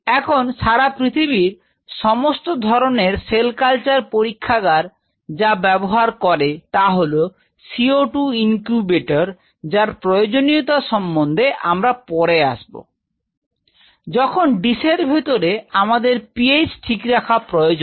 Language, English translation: Bengali, Now all the cell culture labs across the world they use something called co 2 incubator will come later why you need that is, where you are needing the incubator for maintaining the ph inside the culture dish